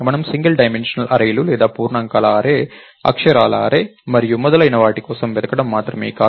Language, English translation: Telugu, Its not just that we look for single dimensional arrays or an array of integers, array of characters and so on